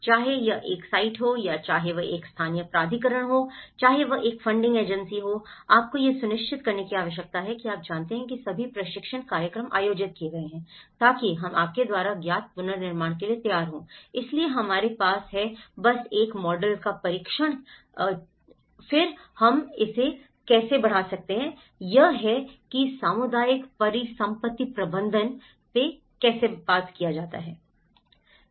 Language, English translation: Hindi, Whether, it is a site to be constructed or whether it is a local authority, whether it is a funding agency, you need to make sure that you know, that all the training programs have been conducted, so that we are ready to go for the rebuilding you know, so we have just tested one model and then how we can scale this up so, this is how the community asset management talks about